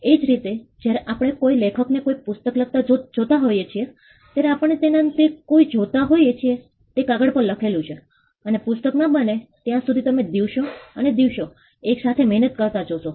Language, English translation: Gujarati, Similarly, when we see an author writing a book, what we see him do is putting the pen on paper, and you seem laboriously doing that days and days together till is book is done